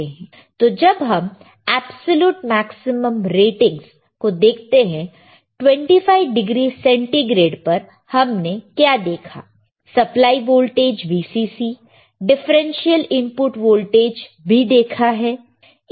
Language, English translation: Hindi, So, when we look at the absolute maximum ratings at 25 degree centigrade, what we see supply voltage right Vcc we have seen that differential input voltage